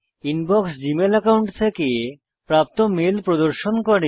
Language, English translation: Bengali, The Inbox shows mail received from the Gmail account